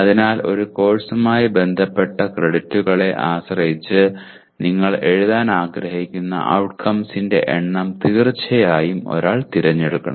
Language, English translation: Malayalam, So depending on the credits associated with a course one has to choose the number of course outcomes that you want to write